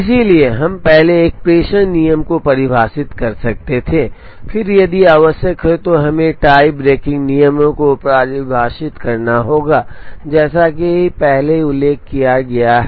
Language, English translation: Hindi, So, we could have we first define a dispatching rule, and then if necessary we have to define a tie braking rule, as mentioned earlier